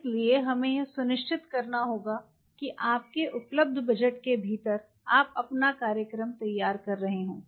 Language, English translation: Hindi, So, we have to ensure that within your available budget you are playing your gain